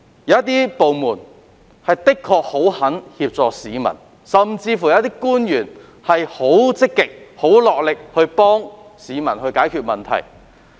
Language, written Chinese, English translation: Cantonese, 有部門的確十分樂意協助市民，甚至有官員很積極落力幫助市民解決問題。, Honestly some departments are very willing to help people and some officials will actively and vigorously assist people in resolving their problems